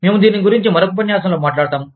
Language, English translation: Telugu, We will talk about this, in another lecture